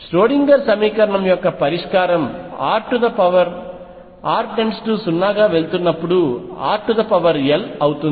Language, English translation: Telugu, The solution of the Schrodinger equation as r tends to 0 goes as r raise to l